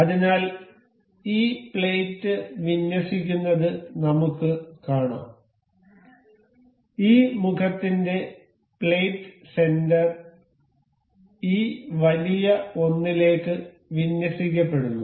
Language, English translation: Malayalam, So, we can see the this plate is getting aligned, the plate center of this face is getting aligned to this larger one